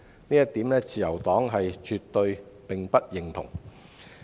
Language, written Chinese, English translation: Cantonese, 這一點是自由黨絕對不認同的。, The Liberal Party absolutely disagree with such a notion